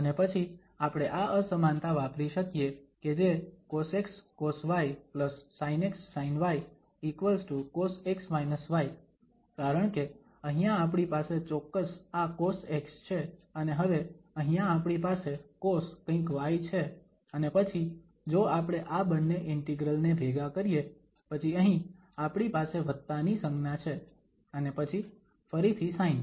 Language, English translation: Gujarati, And then we can use this inequality that cos x cos y plus sin x sin y is equal to cos x minus y because here we have exactly this cos x and then here we have cos something y and then if we merge these two integral then we have here plus sign and then again sine